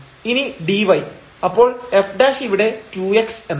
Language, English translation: Malayalam, So, simply from here f prime is 2 x